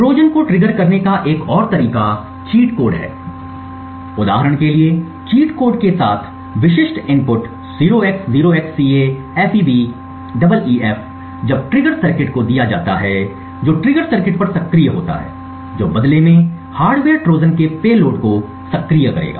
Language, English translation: Hindi, Another way to trigger Trojans is by something known as cheat codes so with a cheat code the specific input for example 0x0XCAFEBEEF when given to the trigger circuit would activate at the trigger circuit which in turn would then activate the payload of the hardware Trojan